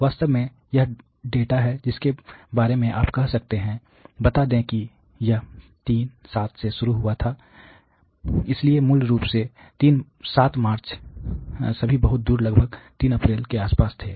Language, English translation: Hindi, In fact, this is data for closed to about you can say you know let say it started from 3, 7, so basically 7th of March all the wayed about third of April